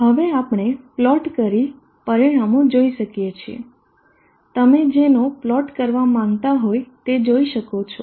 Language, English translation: Gujarati, Now we can plot and see the results, what is see that you would like to plot